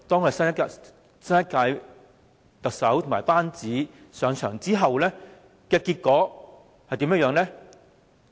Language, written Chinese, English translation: Cantonese, 可是，新一屆特首和其班子上場至今，結果是怎樣的呢？, What has happened since the new Chief Executive and her team assumed office?